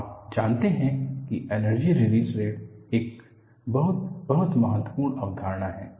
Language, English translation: Hindi, You know, the energy release rate is a very, very important concept